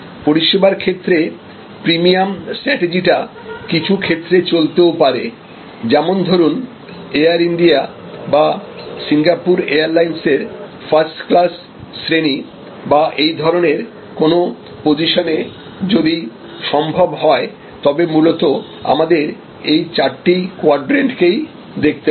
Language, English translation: Bengali, Now, premium strategy in services is sometimes feasible, there could be you know like the first class service on Air India or on Singapore Airlines or this kind of positioning as possible, but mostly we have to look at these four quadrants